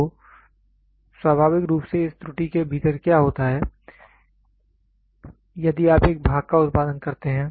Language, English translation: Hindi, So, then naturally what happens within this error if you produce a part